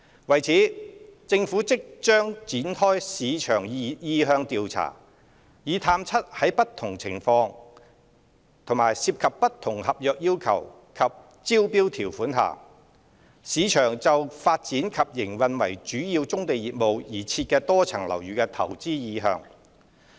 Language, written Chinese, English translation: Cantonese, 為此，政府即將展開市場意向調查，以探測在不同情況及涉及不同合約要求及招標條款下，市場就發展及營運為主要棕地業務而設的多層樓宇的投資意向。, To this end the Government will launch a market sounding exercise shortly to ascertain the market interest towards developing and operating MSBs for key brownfield businesses under different scenarios involving different contractual requirements and tender conditions